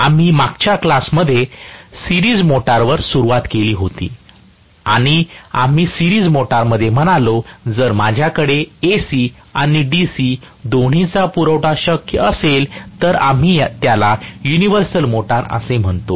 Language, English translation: Marathi, We had started on series motor in the last class and we said in the series motor, if I have both AC and DC supply possible, then we call that as universal motor